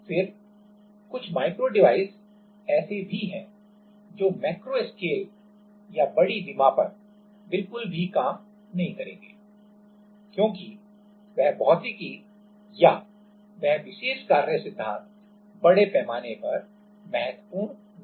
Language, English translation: Hindi, Then, some micro devices are there which will not at all work at like a macro scale or larger dimension, because that physics or that particular working principle will not be significant at larger scale